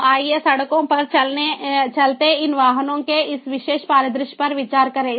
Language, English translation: Hindi, so let us considere this particular scenario of these vehicles moving on the roads